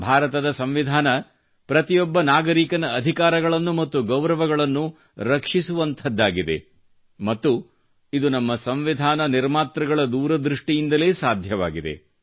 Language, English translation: Kannada, Our constitution guards the rights and dignity of every citizen which has been ensured owing to the farsightedness of the architects of our constitution